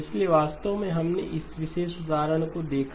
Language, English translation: Hindi, So in fact we did look at this particular example